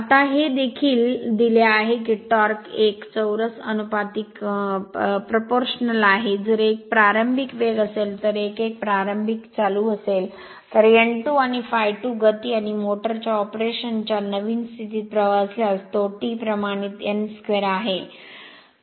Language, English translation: Marathi, Now, also given that torque is proportional to n 1 square, if n 1 is the initial speed and I a 1 is the initial current, while n 2 and I a 2 at speed and current at the new condition of operation of the motor then, we can write because, it is T proportional to n square